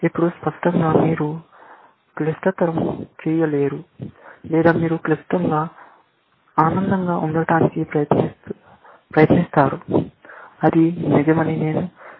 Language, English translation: Telugu, Now, obviously, you cannot get into complicate or you try to get into complicated, kind of pleasing that I can figure out that it is real